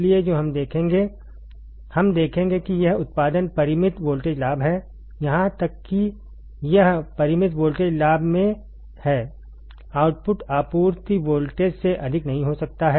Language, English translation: Hindi, So, what we will see, what we will see is that the output this output even it is in finite voltage gain, even it is in finite voltage gain, the output cannot exceed, output cannot exceed more than more than the supply voltage more than the supply voltage